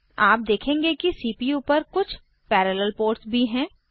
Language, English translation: Hindi, You will also notice that there are some parallel ports on the CPU